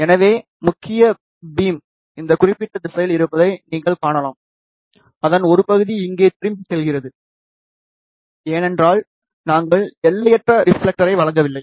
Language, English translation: Tamil, So, you can see that main beam is in this particular direction, part of that is going back here, because we are not providing infinite reflector